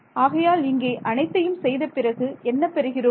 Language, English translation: Tamil, So, after having done all of that what you get